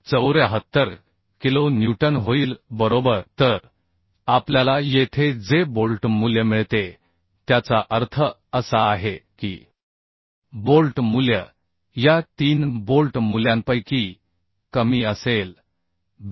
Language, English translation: Marathi, 74 kilonewton right So what we get here the bolt value means bolt value will be the lesser of these three bolt value Bv bolt value I can find out lesser of three value we could find one is 45